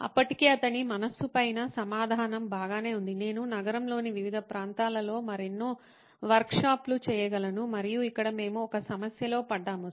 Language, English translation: Telugu, The answer was already on top of his mind saying well, I could have many more workshops in different parts of the city and here we get into a problem